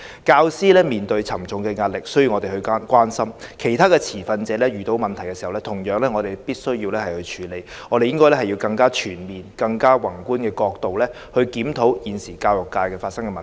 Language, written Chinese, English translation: Cantonese, 教師面對沉重的壓力，需要我們關心，其他持份者遇到的問題，同樣需要我們處理，我們應用更全面和宏觀的角度，檢討現時教育界發生的問題。, While we should show concern to teachers under stress we have to deal with the problems encountered by other stakeholders too . Therefore we should review the existing education problems from a wider and macro perspective